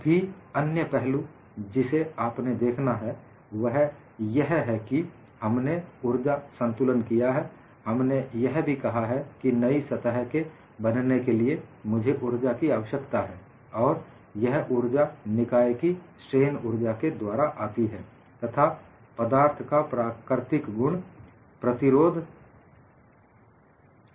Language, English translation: Hindi, And another aspect what you will have to look at is we have done an energy balance; we have also said, for the formation of two new surfaces, I need energy, and this energy comes from the strain energy of the system, and the resistance is inherent to the material